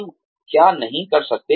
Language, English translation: Hindi, What you cannot do